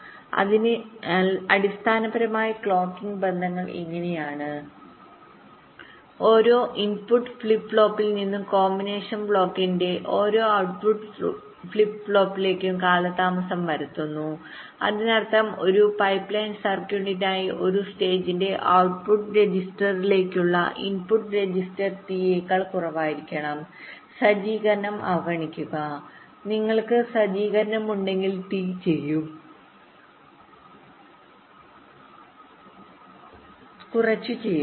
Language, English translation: Malayalam, ok, so basically the clocking relationships are like this: delay from each input flip flop to each output flip flop of combinational block, which means for a pipelines circuit, the input register to the output register of a stage should be less than t, ignoring set up